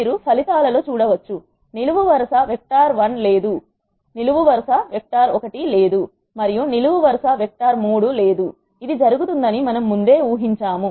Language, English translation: Telugu, You can see in the results we do not have the column vector one and we do not have vector 3 which is what we expected to happen